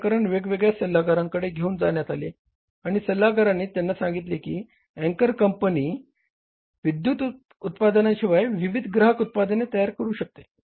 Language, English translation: Marathi, They refer the matter to different consultants and consultants told them that apart from electrical products, anchor can manufacture different consumer products, different consumer products